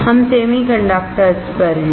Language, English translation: Hindi, We are on the semiconductors